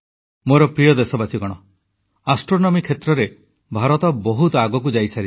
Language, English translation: Odia, My dear countrymen, India is quite advanced in the field of astronomy, and we have taken pathbreaking initiatives in this field